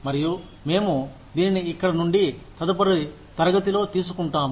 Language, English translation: Telugu, And, we will take it from here, in the next class